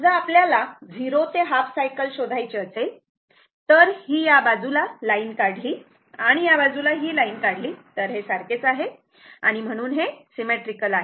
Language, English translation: Marathi, Suppose, I want to find out 0 to half cycle if you draw this line this side and this side it is same identical right, if you draw this in this thing this side and this side is same it is symmetrical